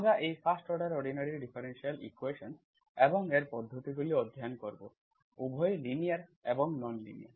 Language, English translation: Bengali, We will study these 1st order ordinary differential equations and its methods, both linear and non linear